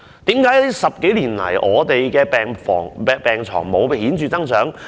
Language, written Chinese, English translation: Cantonese, 為何10多年來，病床數目沒有顯著增長？, Why was there no major increase in hospital beds in the past 10 - odd years?